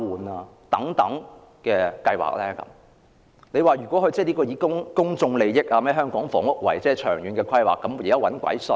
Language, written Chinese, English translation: Cantonese, 難道有人會相信這是為公眾利益或香港房屋的長遠規劃着想嗎？, Will anyone believe that this is done for the sake of public interest or for the long - term housing planning in Hong Kong?